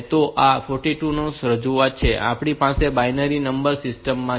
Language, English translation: Gujarati, So, this is the 42 representation that we have in the binary number system